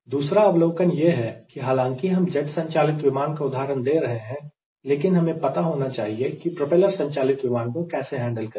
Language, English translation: Hindi, second second observation is that we, although we will be giving example using an aircraft driven by jet engine, but we should also know how to handle if it is a propeller driven engine